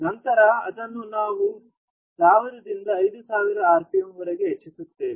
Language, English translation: Kannada, Then we ramp it up to 1000 to 5000 rpm